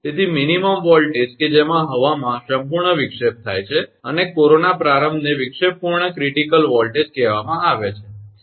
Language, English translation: Gujarati, So, the minimum voltage at which complete disruption of air occurs, and corona start is called the disruptive critical voltage right